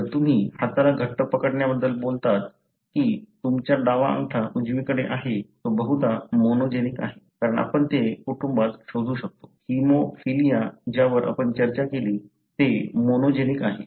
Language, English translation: Marathi, If you talk about hand clasping, that your left thumb over the right, that is probably monogenic, because we can trace it in the family; Haemophilia that we discussed, it is monogenic